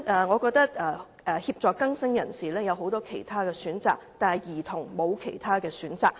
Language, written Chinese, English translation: Cantonese, 我認為協助更生人士有很多其他選擇，但兒童卻沒有其他選擇。, I opine that there are many other ways to facilitate rehabilitation but children have no choice